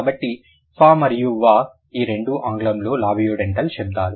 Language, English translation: Telugu, So, fur and v these two are the labiodental sounds in English